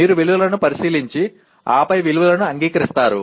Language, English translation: Telugu, You examine the values and then accept the values